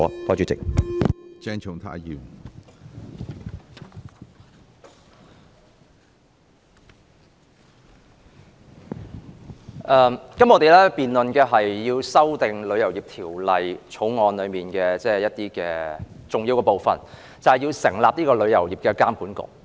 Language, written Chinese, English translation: Cantonese, 我們今天辯論《旅遊業條例草案》，其中重要的部分就是成立旅遊業監管局。, Today we debate on the Travel Industry Bill the Bill and one important part of the Bill is to establish the Travel Industry Authority TIA